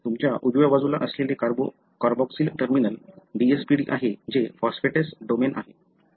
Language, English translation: Marathi, The other one is the DSPD, which I said is the phosphatase domain